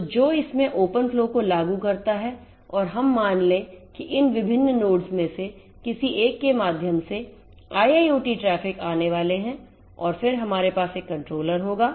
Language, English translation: Hindi, So, which implements the open flow in it and we are going to have a IIoT traffic coming through any of these different nodes and then we will have a controller right